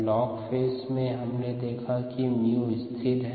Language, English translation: Hindi, in the log phase mu is a constant